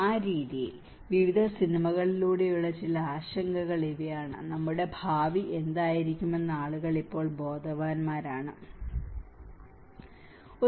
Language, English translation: Malayalam, In that way, these are some concerns through various films and people are also now becoming aware of what is going to be our future